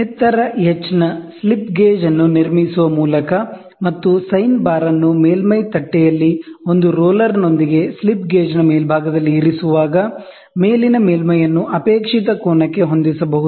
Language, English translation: Kannada, When a building by building a slip gauge of height h and placing the sine bar on the surface plate with one roller on the top of the slip gauge, the upper surface can be set to a desired angle